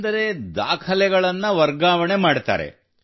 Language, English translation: Kannada, That means you transfer the documents